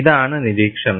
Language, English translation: Malayalam, This is the observation